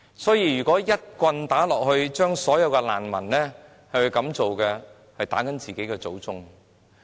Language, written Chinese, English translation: Cantonese, 所以，若一棍打到所有難民身上，便等同打自己的祖宗。, Hence if we put the blame on all the refugees we are going against our ancestors